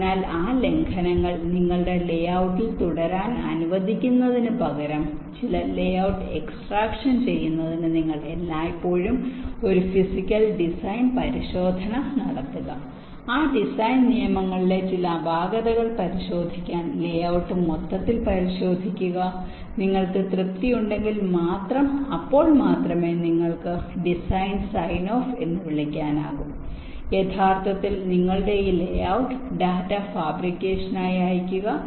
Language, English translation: Malayalam, so instead of letting those violations remain with your layout, it is always the case that you do a physical design verification, to do some layout extraction, verify the layout overall to look for some anomalies in those design rules and only if an your satisfy with that, then only you can go for the so called design sign of where you can ah actually send your this layout data for fabrication